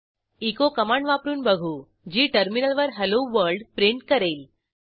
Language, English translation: Marathi, We will test the echo command, which will print Hello World on the terminal